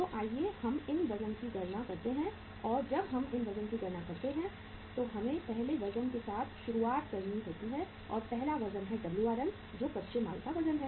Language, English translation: Hindi, So let us calculate these weights and when we calculate these weights so uh we have to start with the first weight and the first weight is that is Wrm weight of raw material